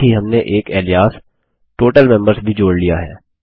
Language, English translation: Hindi, Also we have added an Alias Total Members